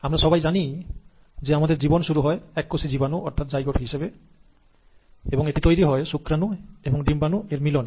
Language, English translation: Bengali, Now we all know that we start our life as a single celled organism that is the zygote and this happens after the fertilization of sperm with the ova